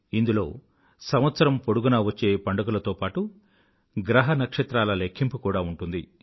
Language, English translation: Telugu, It comprises festivals all around the year as well as the movements of the celestial bodies